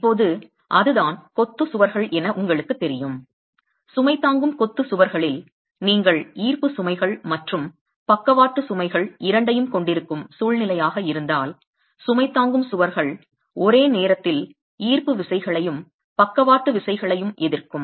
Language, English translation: Tamil, Now you know that in masonry walls, in load bearing masonry walls, if it is a situation where you have both gravity loads and lateral loads, the load bearing walls are simultaneously resisting the gravity forces and the lateral forces